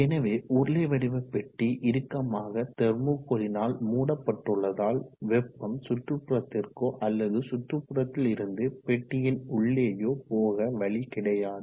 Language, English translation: Tamil, So the cylindrical box is tightly packed with thermocol, there is no way of heat coming out into the atmosphere or from the external ambient within the box